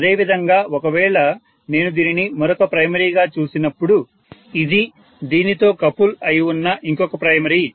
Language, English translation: Telugu, Similarly, if I am looking at this as one of the other primary this is the other primary which is coupled to this